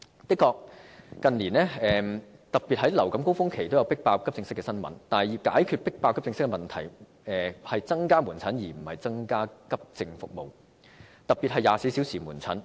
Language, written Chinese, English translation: Cantonese, 的確，近年特別是在流感高峰期均有"迫爆"急症室的新聞，但要解決"迫爆"急症室的問題，方法應是增加門診而非急症服務，特別是24小時門診服務。, As a matter of fact in recent years there has been news about AE departments being overwhelmed particularly during surges of influenza . But in order to address the issue of AE departments being overwhelmed an appropriate measure should be increasing outpatient instead of AE services particularly 24 - hour outpatient services